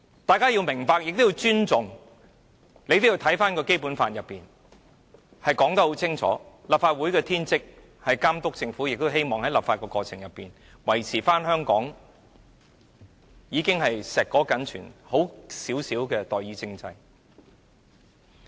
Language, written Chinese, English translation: Cantonese, 大家要明白和尊重《基本法》清楚訂明的立法會的天職，便是監督政府，我們亦希望透過立法過程維持香港碩果僅存的代議政制。, to monitor the Government is enshrined in the Basic Law . It is something that we should understand and respect . We should also uphold the precious representative system left to Hong Kong by making laws properly